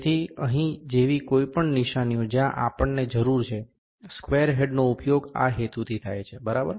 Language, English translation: Gujarati, So, any markings like here what wherever we need, this square head is used for this purposes, ok